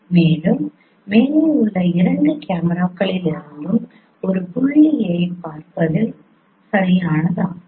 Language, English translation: Tamil, And one of the above is valid in viewing a point from both the cameras